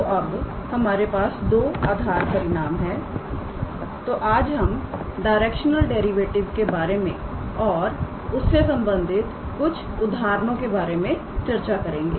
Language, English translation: Hindi, So, now that we have those two basic results today we will start with the concepts of directional derivative and we will try to work out few examples based on directional derivative